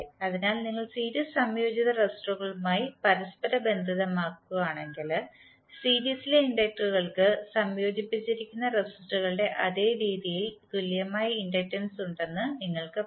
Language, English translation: Malayalam, So, if you correlate with the series combined resistors you will say that the inductors in the series combined will have equivalent inductance in the same manner as the resistors which are connected in series